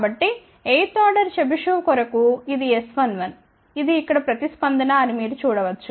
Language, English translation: Telugu, So, this is the S 1 1 for 8 order Chebyshev, you can see this is the response over here